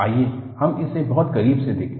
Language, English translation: Hindi, Let us, look at very closely